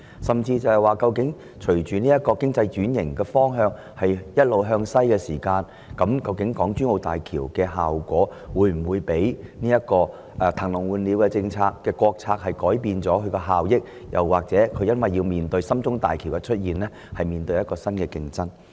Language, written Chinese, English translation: Cantonese, 甚至是，隨着經濟轉型"一路向西"時，港珠澳大橋的經濟效益會否因"騰籠換鳥"的國策而有所改變，或因為深中通道的建設而面對新競爭呢？, Given the economic structure becoming increasingly westbound will the economic returns of HZMB be affected by the national strategy of tenglong huanniao emptying the cage for new birds? . And does HZMB have to face new competition because of the construction of the Shenzhen - Zhongshan Link?